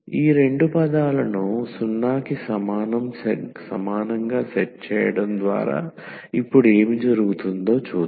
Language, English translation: Telugu, So, by setting these two terms equal to 0 what will happen now